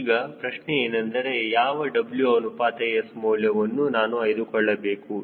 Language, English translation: Kannada, now the question is which w by s i should take